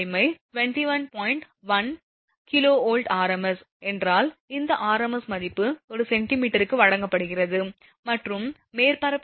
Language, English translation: Tamil, 1 kV r m s, this r m s value is given per centimetre and the surface factor is given 0